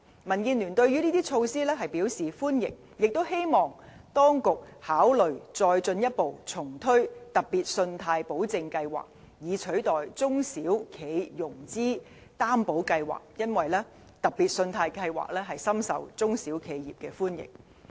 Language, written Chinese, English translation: Cantonese, 民建聯對這些措施表示歡迎，也希望當局考慮重推特別信貸保證計劃，以取代中小企融資擔保計劃，因為特別信貸保證計劃深受中小企業的歡迎。, DAB welcomes these measures and hopes the authorities can consider reintroducing the Special Loan Guarantee Scheme to replace the SME Financing Guarantee Scheme as the former was highly popular among SMEs